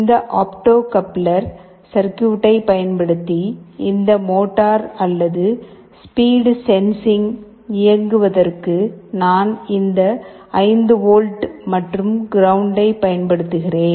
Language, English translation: Tamil, And for driving this motor or speed sensing using this opto coupler circuit, I am using this 5 volts and ground that are required